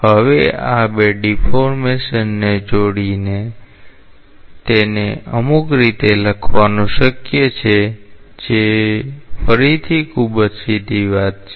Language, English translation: Gujarati, Now it is possible to combine these two deformations and write it in some way which is again a very straightforward thing